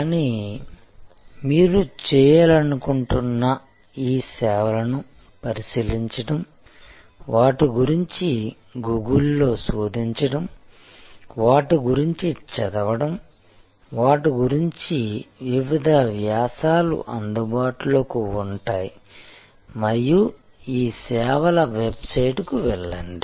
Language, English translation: Telugu, But, what I would like you to do is to look into these services, search out about them, read about them through Google, through their various articles will be available and you will be able to go to the website of this services